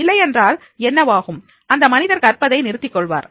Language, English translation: Tamil, Otherwise what will happen that is the person will stop learning